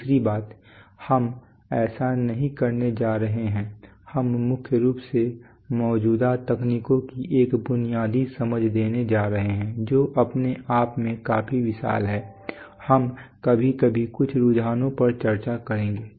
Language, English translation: Hindi, Secondly we are not going to, we are mainly going to give a basic understanding of the existing technologies that itself is quite huge of course, we are sometimes going to discuss some trends, we are going to discuss some trends